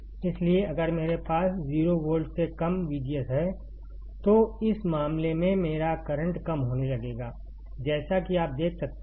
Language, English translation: Hindi, So, if I have V G S less than 0 volt, in this case my current will start decreasing, as you can see